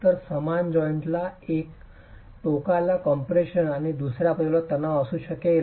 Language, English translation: Marathi, So, same joint would have compression on one end and tension on the other